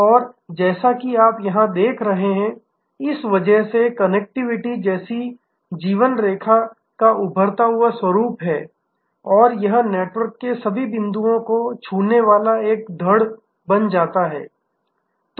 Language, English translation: Hindi, And as you see here, because of this the emerging nature of life line like connectivity and this becomes a trunk of the network touching all most all of point